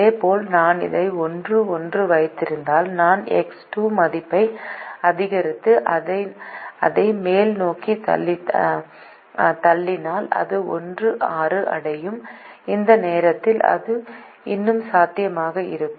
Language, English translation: Tamil, if i keep this one comma one and i keep increasing the x two value and push it upwards, it will reach one comma six, and at that point it would still be feasible